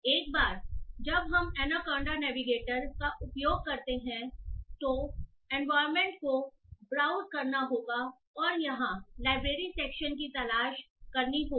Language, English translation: Hindi, So once you use anaconda navigator you have to browse to environment and look for the library section here